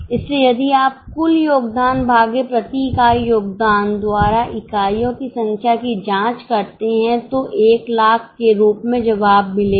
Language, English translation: Hindi, So, if you check number of units by total contribution upon contribution per unit, you will get answer as 1 lakh